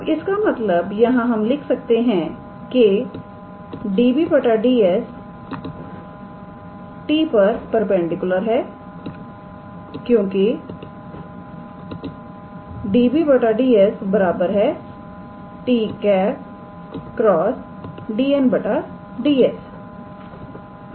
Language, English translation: Hindi, Now, that means, from here we can write, this db ds is perpendicular to t because db ds equals to t cross dn ds